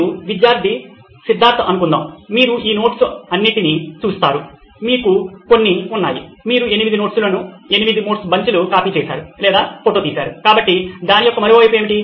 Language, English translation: Telugu, Suppose you are the student Siddharth and you get, you look at all these notes, you have some, you copied or photographed eight notes, eight bunch of notes, so what’s the flip side of that